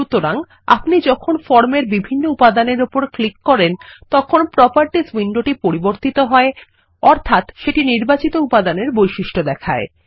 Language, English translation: Bengali, So as we click on various elements on the form, we see that the Properties window refreshes to show the selected elements properties